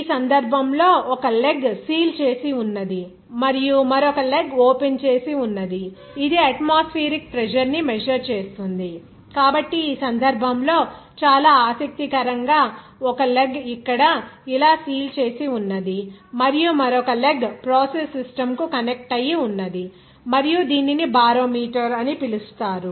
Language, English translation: Telugu, In this case, a manometer that has one leg sealed and the other leg open measures the atmospheric pressure So, in this case, very interesting that one leg sealed here like this and another leg that will be connected to the process system and it is called the barometer or something